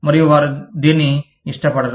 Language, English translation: Telugu, And, they do not like it